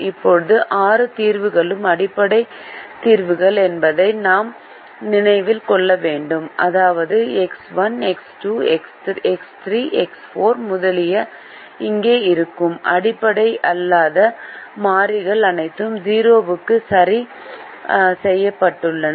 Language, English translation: Tamil, now we also have to remember that all the six solutions are basic solutions, which means that the non basic variables which are here, which are x one, x two, x two, x four extra, are fixed to zero, even though they could have been fixed to any other value